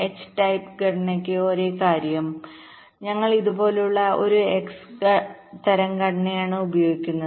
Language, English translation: Malayalam, same thing: instead of the x type structure, we are using an x type structure like this